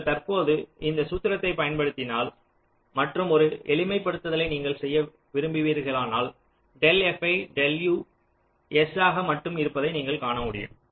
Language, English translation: Tamil, if you just just uses that formula you just now shown, and if you do a simplification, you can find del f, i, del u comes to be only s